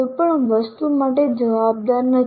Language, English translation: Gujarati, One is not answerable to anything